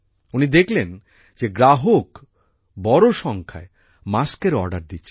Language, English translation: Bengali, He saw that customers were placing orders for masks in large numbers